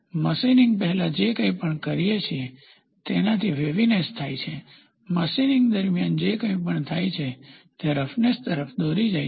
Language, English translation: Gujarati, Waviness is before machining whatever does that leads to waviness, whatever happens during machining leads to roughness